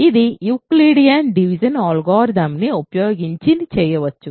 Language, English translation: Telugu, This can be done using Euclidean division algorithm